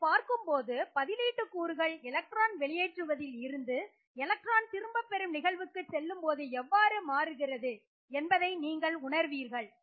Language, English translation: Tamil, So looking at this you get a feel for how the substituent parameter will vary when you go from electron releasing to electron withdrawing substituents